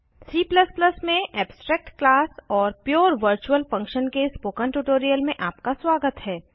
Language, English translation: Hindi, Welcome to the spoken tutorial on abstract class and pure virtual function in C++